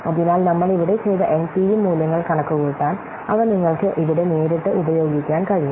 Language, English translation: Malayalam, So these values you can use directly here to compute the NPV values that we have done here